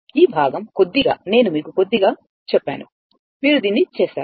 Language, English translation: Telugu, This part little I told you little bit you do it